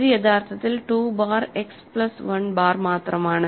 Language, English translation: Malayalam, So, this is actually just 2 bar X plus 1 bar